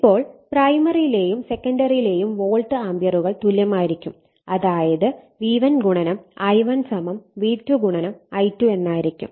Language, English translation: Malayalam, Therefore, the volt ampere must be same, if V1 I1 = V2 I2 therefore, V1 / V2 = I2 / I1